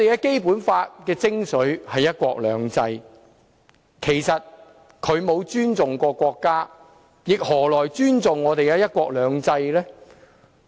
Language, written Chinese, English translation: Cantonese, 《基本法》的精髓是"一國兩制"，其實他沒有尊重過國家，何來尊重我們的"一國兩制"呢？, The essence of the Basic Law is one country two systems . In fact he has never had any respect for the country . How will he respect our one country two systems?